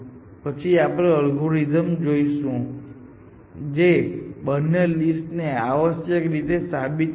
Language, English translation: Gujarati, And then we will try to see whether, we can have an algorithm which proven both the list essentially